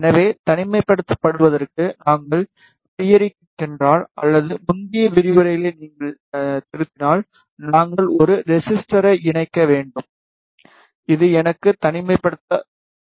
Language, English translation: Tamil, So, in order to do the isolation, if we go into theory or if you revise the previous lectures, we need to attach a resistor this should provide me the isolation